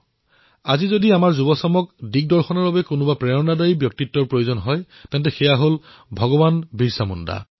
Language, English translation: Assamese, Today, if an inspiring personality is required for ably guiding our youth, it certainly is that of BhagwanBirsaMunda